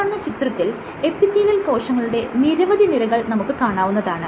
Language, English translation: Malayalam, So, you have multiple layers of epithelial cells like this